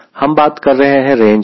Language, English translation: Hindi, so talking about range